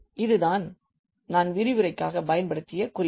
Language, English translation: Tamil, So, these are the references I used for preparing the lectures and